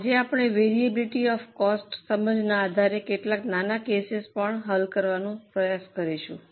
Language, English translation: Gujarati, Today also we will try to solve some small cases based on our understanding of variability of costs